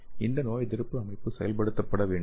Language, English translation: Tamil, So these immune system has to get activated